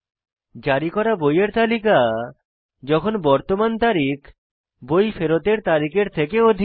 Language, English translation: Bengali, The list of books issued when the current date is more than the return date